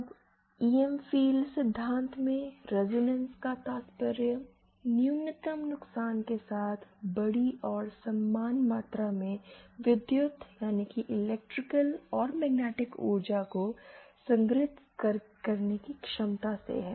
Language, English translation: Hindi, Now in EM Field theory, resonance refers to the ability to store large and equal amounts of electrical and magnetic energy with minimal losses